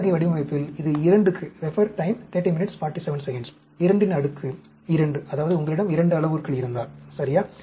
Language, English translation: Tamil, This is for a 2 2 raised to the power 2, that means, if you have 2 parameters, ok